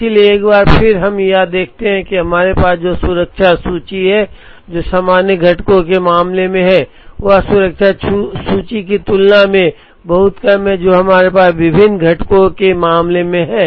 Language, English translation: Hindi, So, once again we observe that, the safety inventory that we have in the case of common components is much lesser than the safety inventory that we have in the case of different components